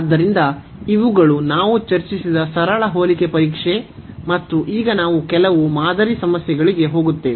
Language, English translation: Kannada, So, these are the simple comparison test which we have discussed and now we will go for some problems sample problems